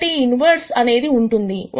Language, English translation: Telugu, So, this inverse is something that exists